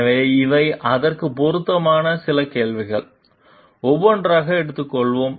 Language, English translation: Tamil, So, these are certain questions relevant to it, we will take up one by one